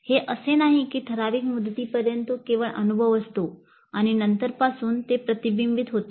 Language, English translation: Marathi, It is not that up to certain point of time it is only experience and from then onwards it is reflection